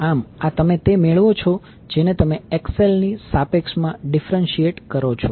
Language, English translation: Gujarati, So, this is what you get when you differentiate this is the equation with respect to XL